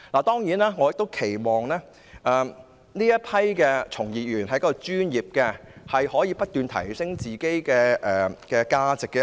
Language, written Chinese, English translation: Cantonese, 當然，我亦期望從業員是專業的，可以不斷提升自己的價值。, Certainly I also hope that practitioners will be professional and continuously increase their value